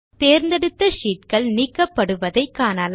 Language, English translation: Tamil, You see that the selected sheets get deleted